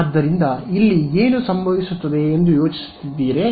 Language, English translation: Kannada, So, what do you think will happen over here